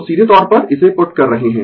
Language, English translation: Hindi, So, directly we are putting it